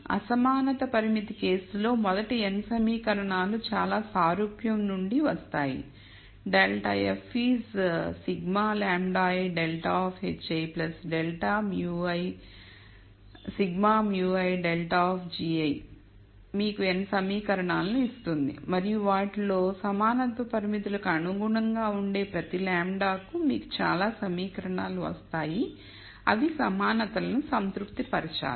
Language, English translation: Telugu, In the inequality constraint case, the first n equations come from a very similar form where minus grad f is sigma lambda i grad of h i plus sigma mu i grad of g i that gives you n equations and corresponding to every one of those lambda corresponding to equality constraints you will get so many equations which are the equalities have to be satisfied